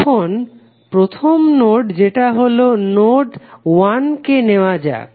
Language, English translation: Bengali, Now, let us take the first node that is node 1